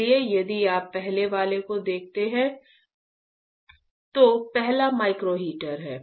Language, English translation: Hindi, So, if you see the first one, first one is a micro heater right